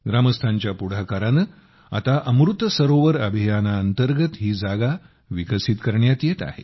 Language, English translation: Marathi, On the initiative of the villagers, this place is now being developed under the Amrit Sarovar campaign